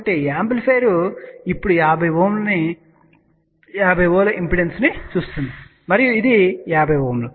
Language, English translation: Telugu, So, amplifier now see is a 50 Ohm impedance and this is 50 Ohm